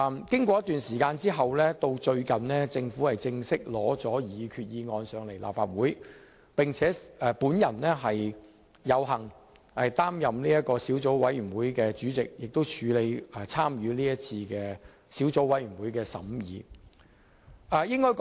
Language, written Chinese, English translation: Cantonese, 經過一段時間後，最近政府正式向立法會提交擬議決議案，我有幸擔任小組委員會主席，參與小組委員會的審議工作。, Some time later the Government has recently submitted a formal proposed resolution to the Legislative Council . I am honoured to be the Chairman of the Subcommittee and have participated in the deliberations